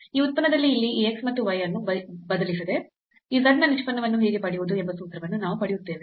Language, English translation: Kannada, So, we will derive a formula how to get the derivative of this z without substituting this x and y here in this function